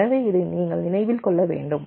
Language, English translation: Tamil, ok, so this has to be remembered now